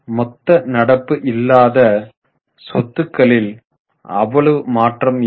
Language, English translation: Tamil, So, total non current assets are not much change in it